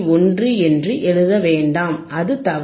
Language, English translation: Tamil, 1, it ok, this is wrong